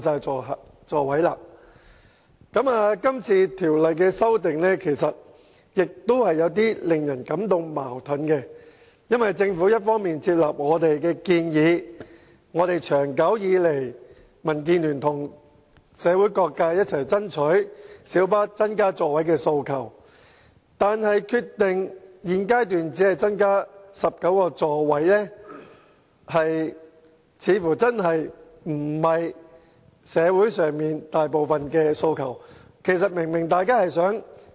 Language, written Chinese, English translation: Cantonese, 這項《2017年道路交通條例草案》有些地方令人感到十分矛盾，因為政府雖已接納我們的建議，即民建聯及社會各界長久以來一直爭取要增加小巴座位的訴求，但現時卻決定只增加至19個座位，這似乎並不是大部分社會人士的訴求。, Some provisions of the Road Traffic Amendment Bill 2017 the Bill are perplexing . While the Government has accepted our proposal ie . the aspiration made by the Democratic Alliance for the Betterment and Progress of Hong Kong and various sectors of society over the years to increase the seating capacity of light buses it has now decided that the seating capacity will only be increased to 19